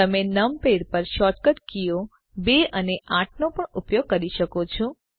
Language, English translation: Gujarati, You can also use the shortcut keys 2 and 8 on the numpad